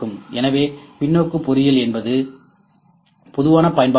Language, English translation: Tamil, So, reverse engineering is the general application